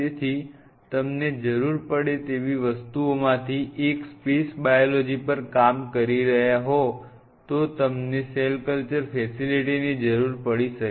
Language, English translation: Gujarati, So, one of the things which you may need suppose you needed if you are working on a space biology, and you needed a cell culture facility